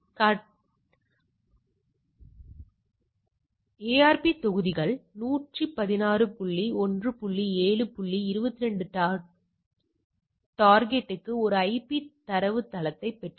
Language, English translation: Tamil, So, scenario 3, the 20 seconds later ARP modules received a IP datagram from for the destination 116 dot 1 dot 7 dot 22, it is there 116 dot it is not there right